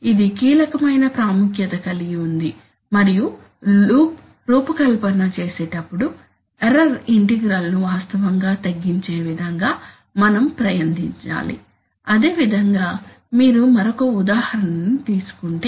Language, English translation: Telugu, Which is of crucial importance and while designing the loop we should try such that the error integral is actually minimized, similarly if you take another example